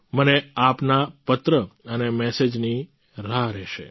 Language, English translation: Gujarati, I will be waiting for your letter and messages